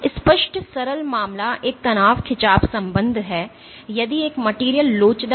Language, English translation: Hindi, So, the obvious simplest case is a stress strain relationship if a material is elastic